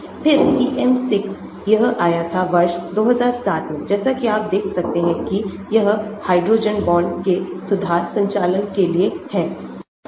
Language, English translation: Hindi, Then PM 6, this came in the year 2007, as you can see this is meant for improving, handling of hydrogen bonds